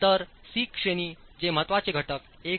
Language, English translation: Marathi, So, C category, which is importance factor 1